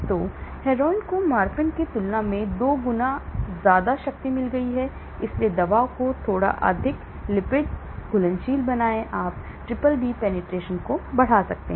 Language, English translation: Hindi, So, Heroin has got 2 fold potency than Morphine, so slightly make the drug more lipid soluble, you increase the BBB penetration